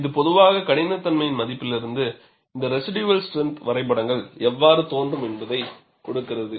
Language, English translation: Tamil, This generally gives, from the value of toughness, how these residual strength diagrams would appear